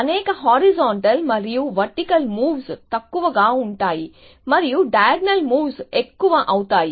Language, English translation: Telugu, So, that many horizontal and vertical moves become less and diagonal moves will become more essentially